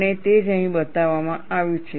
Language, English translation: Gujarati, That is what is shown here